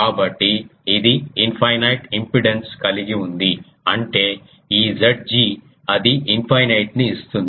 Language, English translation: Telugu, So, it is having an infinite impedance; that means, this Z g it is um giving that is infinite